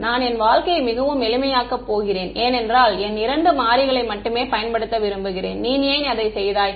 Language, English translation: Tamil, I am going to make my life really simple I want to restrict myself to two variables because why would you do that